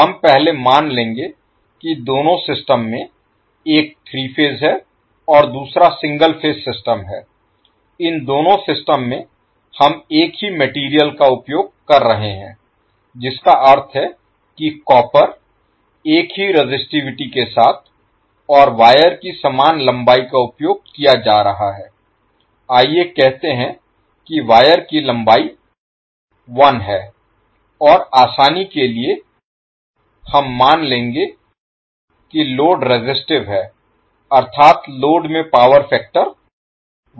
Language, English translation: Hindi, We will first assume that in both of these systems one is three phase and the other is single phase system, in both of these systems we are using the same material that means copper with the same resistivity and same length of the wire is being used, let us say that the length of the wire is l and for simplicity we will assume that the loads are resistive that means the load is having unity power factor